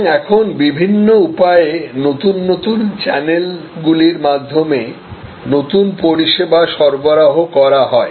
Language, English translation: Bengali, So, there are different ways, now new service delivered over different channels